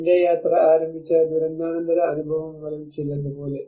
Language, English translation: Malayalam, Like some of the post disaster experience which where my journey have started